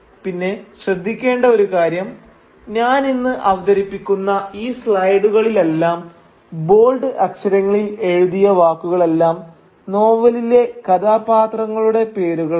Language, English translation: Malayalam, And by the way, if you have not noticed, please note that the words written in bold letters in all of these slides that I will be presenting today are names of characters in the novel